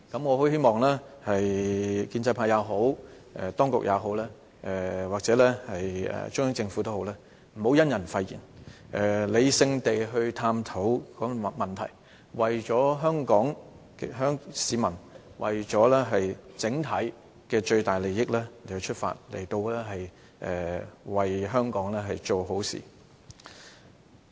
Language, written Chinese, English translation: Cantonese, 我希望無論建制派也好，當局或中央政府也好，不要以人廢言，而應理性地探討問題，為香港市民整體最大的利益出發，為香港做好事。, I hope the pro - establishment camp the authorities concerned and the Central Government will not dismiss our arguments simply because of what the opposition Members are . Instead they should explore the problems in a rational manner in pursuance of the greatest interest of Hong Kong people and do something good for Hong Kong